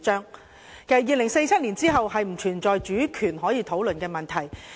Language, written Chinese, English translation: Cantonese, 其實，在2047年後並不存在主權可以討論的問題。, In fact there is no question of sovereignty being subject to discussion after 2047